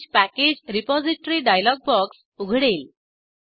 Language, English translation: Marathi, Change Package Repository dialog box will open